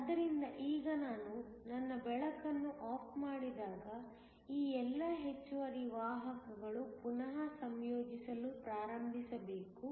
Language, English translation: Kannada, So, now when I turn off my light all these excess carriers have to start to recombine